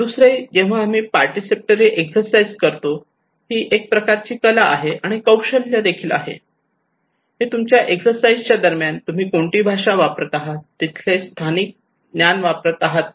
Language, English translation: Marathi, Another one is that when we conduct participatory exercises, it is a kind of art and a kind of skill, it depends on what language you are using during the exercise, are you using local knowledge, local language or the foreign language